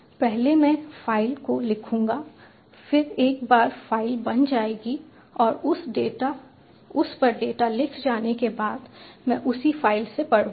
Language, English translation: Hindi, first, i will write to the file, then, once the file has been created and the data written to it, i will read from that same file